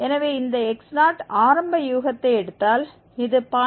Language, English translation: Tamil, So, taking this initial guess x0 is equal to 0